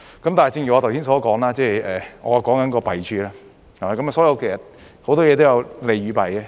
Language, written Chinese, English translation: Cantonese, 但是，正如我剛才所說，我說的是弊處，所以其實很多事情都有利有弊。, Yet as I have said earlier I am talking about the drawbacks . So in fact there are pros and cons with many things